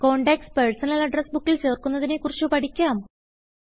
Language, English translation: Malayalam, Now, lets learn to add contacts in the Personal Address Book